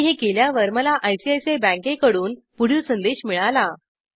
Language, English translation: Marathi, I get the following messsage from ICICI bank